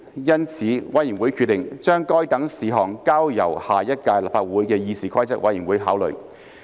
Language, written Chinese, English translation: Cantonese, 因此，委員會決定將該等事項交由下一屆立法會的議事規則委員會考慮。, The Committee has therefore decided to refer the issues to the Committee of the next term of the Legislative Council for consideration